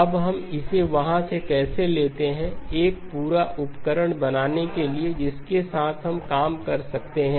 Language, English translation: Hindi, Now how do we take it from there to become a complete set of tools that we can work with and then